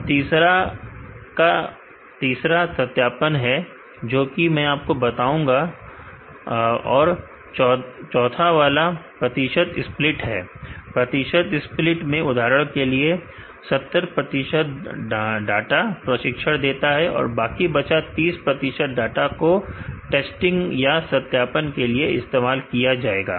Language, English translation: Hindi, And third is a cross validation, which I will explain you and fourth one is a percentage split, in percentage split for example, 70 I will old 70 percentage of the data and data for training and remaining thirty percent will be used for testing or the validation ok